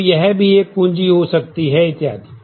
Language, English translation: Hindi, So, that can be a key and so on